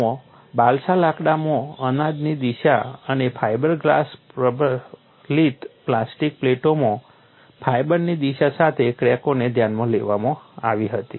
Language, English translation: Gujarati, In these, cracks along the direction of the grain in balsa wood and along the fiber direction in the fiber glass reinforced plastic plates were considered